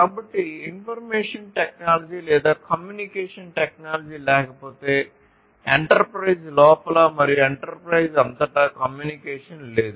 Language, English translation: Telugu, So, if there is no information technology or communication technology there is no communication within the enterprise and across enterprises